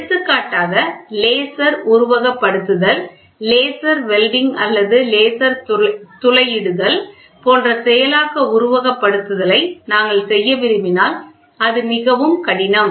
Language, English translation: Tamil, So, for example, if we want to do a laser simulation, laser welding or laser hole making similar process simulation, it is extremely difficult